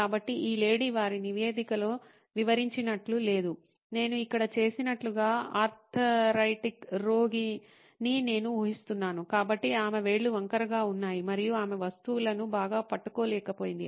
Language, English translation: Telugu, So, this lady as described in their report, was, not did not have, let us say straight figures like I do here, what I guess an arthritic patient, so her fingers were crooked and she could not hold on to objects very well